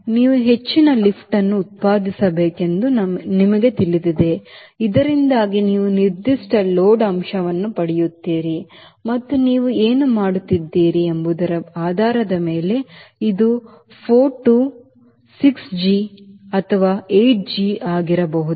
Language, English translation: Kannada, you know you have to generate that much of lift so that you get a particular load factor, and this could be four to six g or eight g, depending upon what you are doing